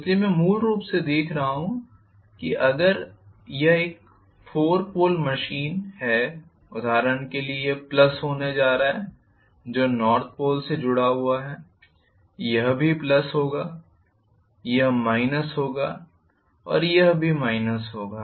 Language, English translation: Hindi, So I am essentially looking at, if it is a four pole machine for example this is going to be plus which is affiliated to north pole, this will also be plus, this will be minus and this will be minus as well